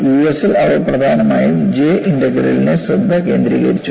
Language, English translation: Malayalam, In the US, they were mainly focusing on J integral